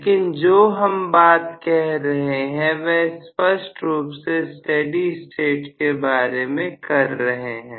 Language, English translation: Hindi, But what we are talking about very clearly is in steady state